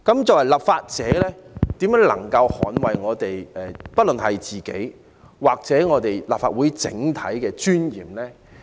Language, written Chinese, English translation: Cantonese, 作為立法者，我們如何能捍衞自己或立法會整體的尊嚴呢？, As a lawmaker how can we defend our own dignity and that of the Legislative Council as a whole?